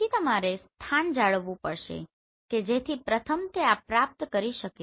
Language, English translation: Gujarati, So you have to maintain the position so that in the first it has acquired this